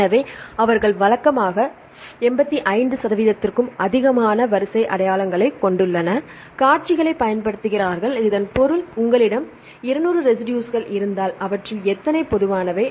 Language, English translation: Tamil, So, they usually use the sequences with more than 85 percent sequence identity, this means if you have 200 residues, how many residues are common